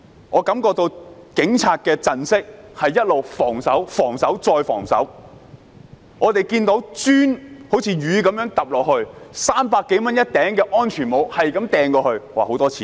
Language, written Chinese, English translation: Cantonese, 我感覺警察的陣式一直是防守、防守、再防守，我們看到磚頭如雨灑下，每頂300多元的安全帽不斷擲向警方——那涉及很多錢。, I think the Police had adopted a defensive approach . We can see an avalanche of bricks being hurled and safety helmets costing some 300 each―involving a lot of money―were constantly thrown at the Police